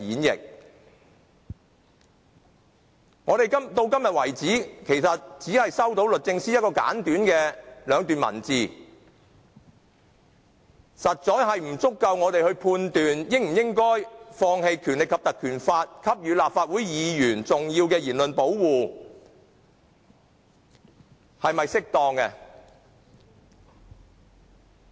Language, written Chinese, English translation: Cantonese, 直到今天為止，我們只是收到律政司兩段簡短的文字，實在不足以讓我們判斷，應否放棄《立法會條例》給予立法會議員重要的言論保護，這做法是否適當。, So far we have only received two brief paragraphs from DoJ too slender for us to determine whether we should surrender the speech protection offered by the Ordinance and whether the arrangement is appropriate